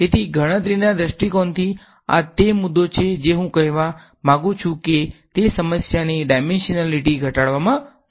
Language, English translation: Gujarati, So, from a computational point of view this is the point I want to make that it helps to reduce the dimensionality of a problem